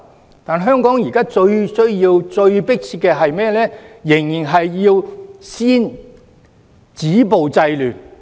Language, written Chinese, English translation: Cantonese, 然而，香港現時最迫切需要的，仍然是先止暴制亂。, But the most pressing issue in Hong Kong now remains to stop violence and curb disorder